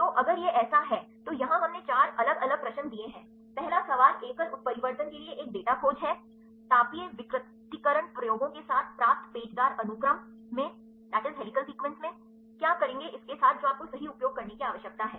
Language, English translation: Hindi, So, if it is a so, here we gave four different a questions first question is search a data for single mutation, in helical sequence obtained with thermal denaturation experiments, what will do with this what are the search after you need to use right